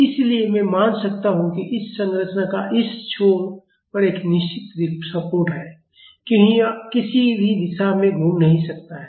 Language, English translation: Hindi, So, I can assume that this structure has a fixed support at this end because it cannot rotate or translate in any direction